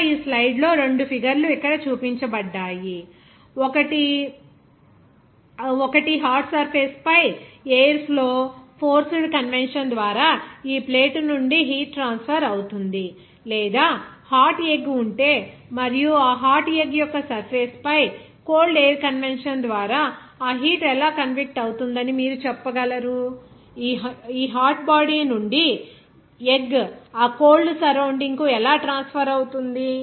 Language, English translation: Telugu, Here in this slide, 2 pictures are shown here one is heat is transferring from this plate by forced convection where air will be flowing over the hot surface or you can say that if there is a hot egg and how that heat will be convecting by the cold air convection over the surface of this hot egg, then how heat will be transferring from this hot body of egg to the surrounding of that cold air